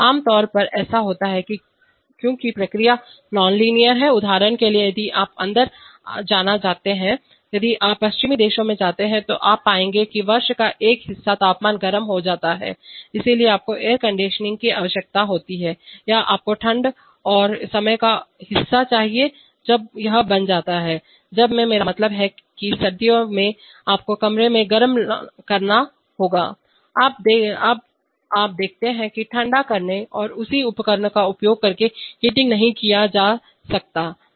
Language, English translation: Hindi, Typically happens because processes are nonlinear, for example if you want to in, if you go to western countries then you will find that part of the year the temperature becomes warm, so you need air conditioning or you need cooling and part of the time, when it becomes, when in, I mean in winter you have to heat the room, now you see cooling and heating cannot be done using the same equipment